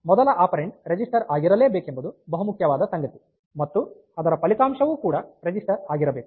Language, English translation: Kannada, So, this is the important thing that to the first operand that must be a register and the result must also be a register